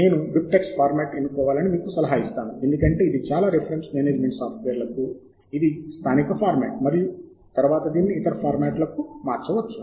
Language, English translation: Telugu, I would advise you to choose the diptych format because there is a native format for many reference management software and also it can be converted later to other formats